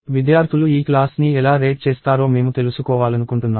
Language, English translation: Telugu, And I want to find out how you students rate the class